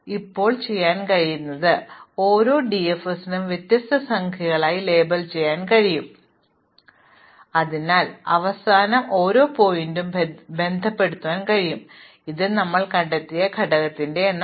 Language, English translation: Malayalam, So, what we can do now is, we can label each DFS with a different number, so at the end we can associate with each vertex, the number of the component in which it was discovered